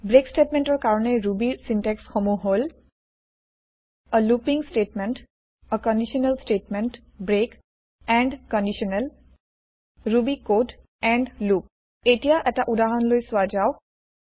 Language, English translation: Assamese, The syntax for the break statement in Ruby is a looping statement a conditional statement break end conditional ruby code end loop Let us look at an example